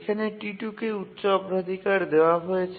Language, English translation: Bengali, We need to give a higher priority to T2